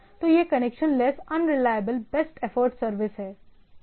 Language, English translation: Hindi, So, it is connection less, unreliable, best effort service right